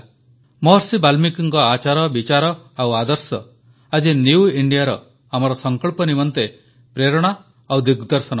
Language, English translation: Odia, Maharishi Valmiki's conduct, thoughts and ideals are the inspiration and guiding force for our resolve for a New India